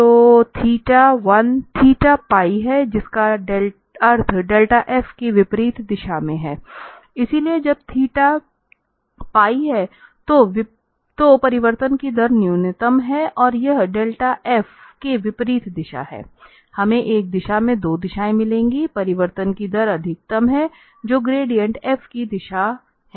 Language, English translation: Hindi, So, the theta when theta is pi that means in the opposite direction of delta f, so, the rate of change is minimum when theta is pi and this is the direction that is opposite to the del f so, we got two directions in one direction the rate of change is maximum that is the direction of the gradient f